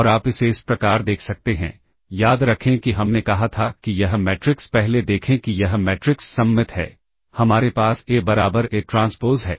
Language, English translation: Hindi, And you can see this as follows remember we said this matrix is first see that this matrix is symmetric